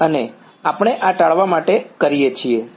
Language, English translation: Gujarati, And we are done this to avoid, what